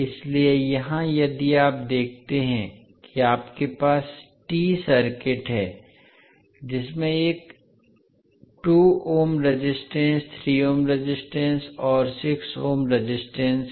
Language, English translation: Hindi, So here if you see you have the T circuit which has one 2 ohm resistance, 3 ohm resistance and 6 ohm resistance